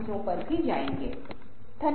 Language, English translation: Hindi, thank you, friends